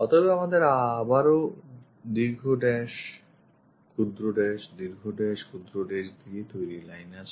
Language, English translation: Bengali, So, again we have long dash short, dash long, dash short, dashed line